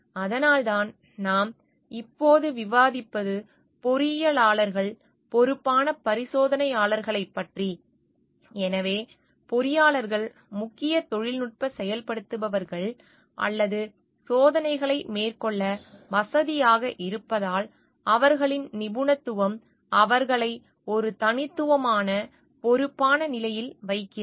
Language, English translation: Tamil, That is why what we are discussing now is that of engineers as responsible experimenters; so, as engineers are the main technical enablers or facility to carry out the experiments, their expertise puts them in a unique position of responsibility